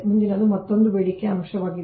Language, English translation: Kannada, next is another one is demand factor